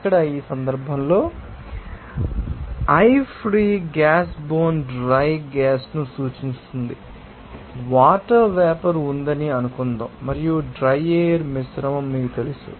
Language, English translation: Telugu, Here, in this case, i free gas refers to the bone dry gas suppose there is water vapor, and you know dry air mixture